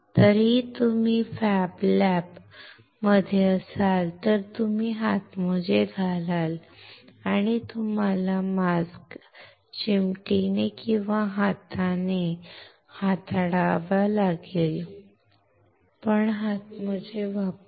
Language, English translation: Marathi, If you are in the fab lab anyway you will wear a glove and you have to handle the mask with the tweezer or with the hand but with gloves